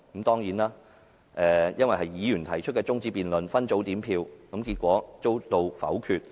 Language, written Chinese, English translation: Cantonese, 當然，由於那是議員提出的中止待續議案，分組點票後最終遭到否決。, As an adjournment motion moved by a Member it was of course negatived at separate voting